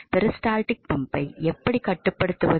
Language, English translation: Tamil, So, this is how a peristaltic pump works so